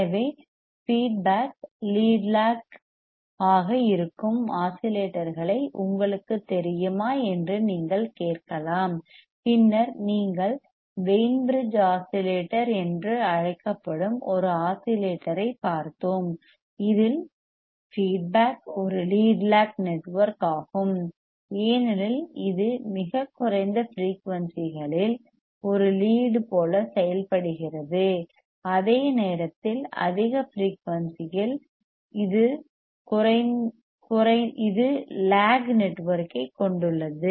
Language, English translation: Tamil, So, you can be asked you know oscillators in which the feedback is lead lag then you can say yes we have seen an oscillator which is called Wein bridge oscillator; in which the feedback is a lead lag network because it acts like a like a lead at very low frequencies while at higher frequency it has a lag network